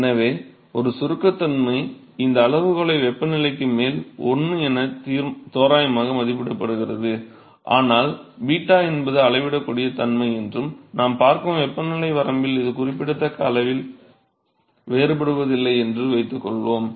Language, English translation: Tamil, So, a compressibility approximate these scales as 1 over temperature, but let us for the moment assume that beta is some measurable property and it is not varying significant in the temperature range that we are looking at